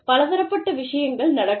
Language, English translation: Tamil, Various things can happen